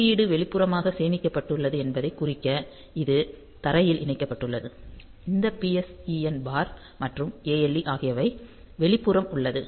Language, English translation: Tamil, So, it is connected to ground to indicate that the code is a stored externally and this PSEN bar and ALE, so they are external